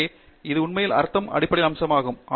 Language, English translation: Tamil, So, that is really the underlying feature in some sense